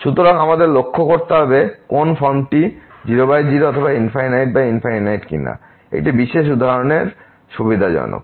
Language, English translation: Bengali, So, we have to observe that which form whether 0 by 0 or infinity by infinity is convenient in a particular example